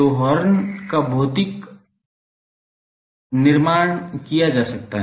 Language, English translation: Hindi, So, the horn can be constructed physically